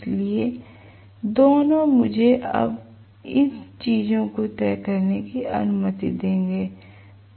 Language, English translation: Hindi, So, both will allow me to decide these things now